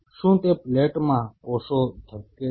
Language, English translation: Gujarati, Are those cells in the dish beating